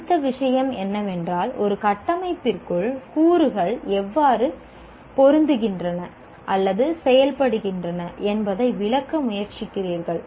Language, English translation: Tamil, Then the next thing is you are now trying to explain how the elements fit their function within a structure